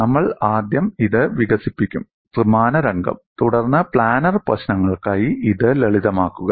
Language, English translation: Malayalam, We would first develop it for a three dimensional scenario, then simplify it for planar problems